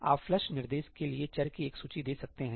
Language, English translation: Hindi, You can give a list of variables to the flush instruction